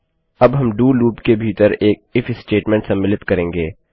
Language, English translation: Hindi, Now, we will include an IF statement inside the DO loop